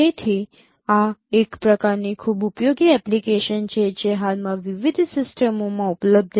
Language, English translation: Gujarati, So, this is one kind of very, you know, useful applications which are presently available in different systems